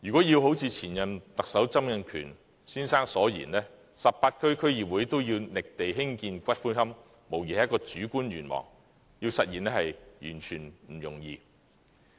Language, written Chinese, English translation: Cantonese, 要如前任特首曾蔭權先生所言 ，18 區區議會均要覓地興建龕場，無疑是主觀的願望，要實現是完全不容易。, Former Chief Executive Donald TSANG requested all the 18 District Councils to identify sites for building columbarium . Without doubt this wishful aspiration can hardly be realized